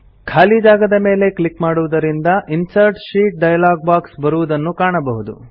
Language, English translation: Kannada, On clicking the empty space, we see, that the Insert Sheet dialog box appears